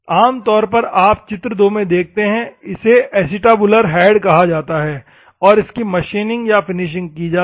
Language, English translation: Hindi, Normally whatever you see in figure 2, it is called acetabular head is machined or finished